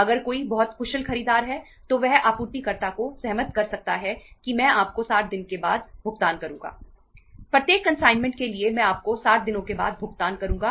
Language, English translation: Hindi, If somebody is very efficient buyer he can make the supplier agree that Iíll pay you after 60 days